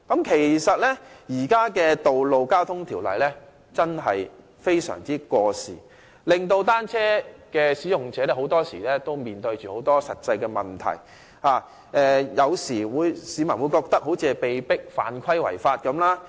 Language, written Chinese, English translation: Cantonese, 其實，現行的《道路交通條例》真的非常過時，單車使用者很多時面對實際問題，市民有時會覺得好像是被迫犯規違法般。, Actually the existing Ordinance is so outdated that cyclists often encounter practical problems . Sometimes members of the public feel like being compelled to break the law